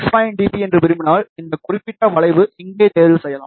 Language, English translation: Tamil, 5 dB, you choose this particular curve here